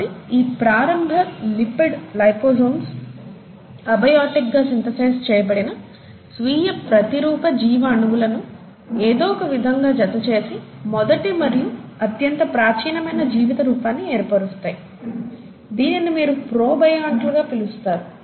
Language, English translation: Telugu, So these initial lipid liposomes would have somehow enclosed these abiotically synthesized self replicating biological molecules to form the first and the most earliest form of life, which is what you call as the protobionts